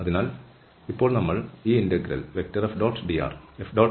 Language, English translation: Malayalam, So, having this expression for f